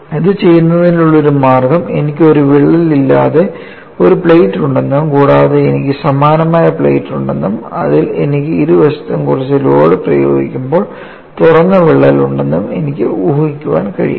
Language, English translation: Malayalam, One way of doing it, I can imagine a problem wherein I have a plate without a crack plus I have the similar plate and I have the crack that is opened up by some load on either side